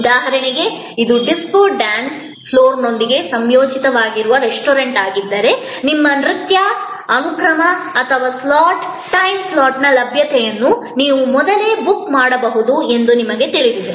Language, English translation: Kannada, For example, if it is a restaurant, which is associated with a disco dance floor, then again you know you may actually pre book your availability of your dance sequence or slot, time slot and this can be pre booked